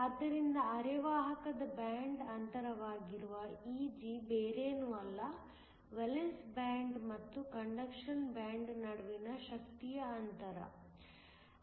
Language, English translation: Kannada, So, E g which is the band gap of the semiconductor is nothing but the energy difference between the valence band and the conduction band